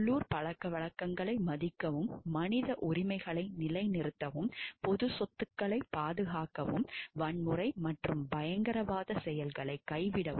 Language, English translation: Tamil, Respect the local customs, uphold the human rights, safeguard public property, abjure violence and acts of terrorism